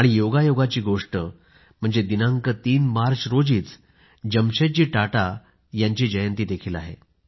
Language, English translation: Marathi, Coincidentally, the 3rd of March is also the birth anniversary of Jamsetji Tata